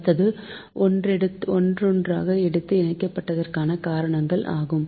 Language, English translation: Tamil, next is the reasons, ah, for interconnection